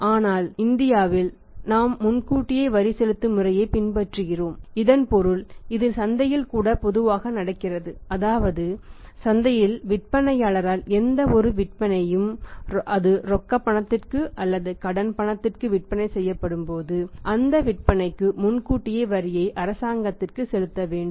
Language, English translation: Tamil, But in India we follow the advance tax payment system in India we follow the advance tax payment system it means it is assumed and it normally happens also in the market that when any sales are made by the seller in the market whether it is on the cash or it is on the credit seller is supposed to pay the advance tax on those sales to the government